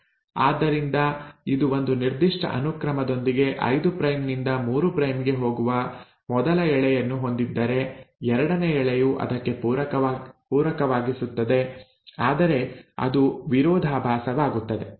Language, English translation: Kannada, So if this is the first strand with a certain sequence going 5 prime to 3 prime, the second strand will be complimentary to it but will also be antiparallel